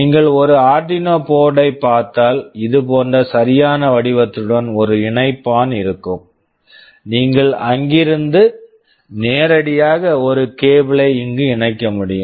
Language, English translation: Tamil, If you look at an Arduino board they will have a connector with an exact shape like this, you can connect a cable from there directly to this